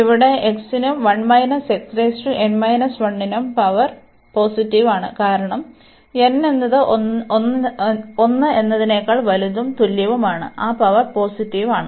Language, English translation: Malayalam, So, this power here for x is positive and also for 1 minus x the power here, because n is also greater than equal to 1 that power is also positive